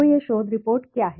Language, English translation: Hindi, So, what is this research report